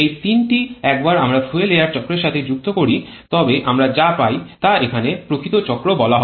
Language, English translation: Bengali, These three, once we add to the fuel air cycle then what we get that is called the actual cycle here